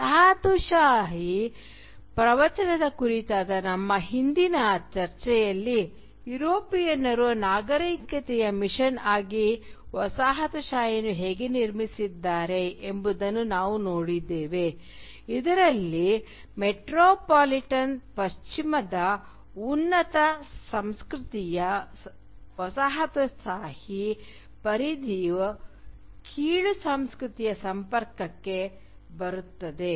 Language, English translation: Kannada, Now in our earlier discussion on the colonial discourse, we have seen how colonialism is constructed by the Europeans as a civilising mission in which a superior culture of the metropolitan West comes in contact with the “inferior culture” of the colonised periphery